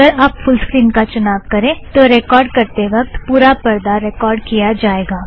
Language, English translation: Hindi, If you select Full Screen, then the entire screen will be captured